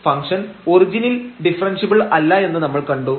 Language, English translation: Malayalam, And hence, the function is not differentiable